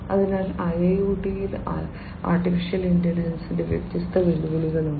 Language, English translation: Malayalam, So, there are different challenges of AI in IIoT